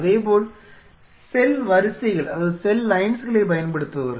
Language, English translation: Tamil, Similarly, those who are using cell lines